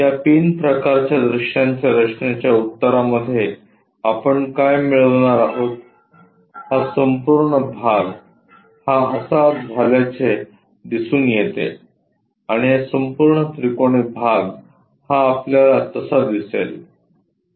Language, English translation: Marathi, The answer for this pin kind of structure the views what we are going to get, this entire portion turns out to be this one, and this entire triangular one we will see it in that way